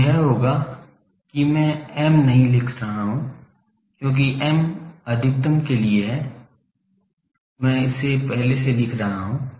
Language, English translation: Hindi, So, that will be I am not writing m because m is a maximum of that, I am writing in an earlier